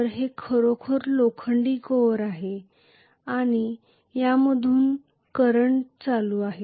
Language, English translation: Marathi, So this is actually the iron core and I am going to have a current pass through this